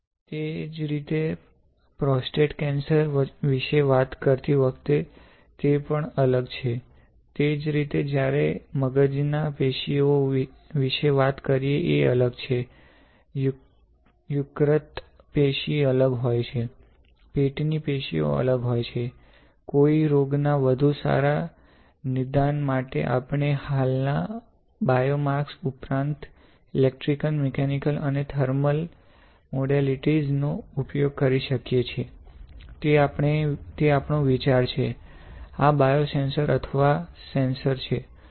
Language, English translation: Gujarati, Same way when you talk about prostate cancer, it is also different right; same way when talking about the brain tissue is different, liver tissue is different, stomach tissue is different; can we use electrical mechanical and thermal modalities in addition to the existing biomarkers for better diagnosis of a disease; that is our idea, this is a biosensor or cancer sensors right alright